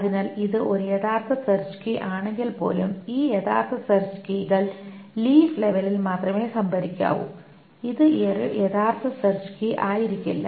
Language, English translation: Malayalam, So even if it is an actual search key, the actual search keys must be stored only at the leaf level